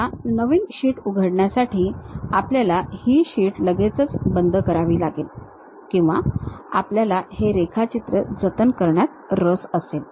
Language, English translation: Marathi, Now, we can straight away close this sheet to open a new one or we are interested in saving these drawings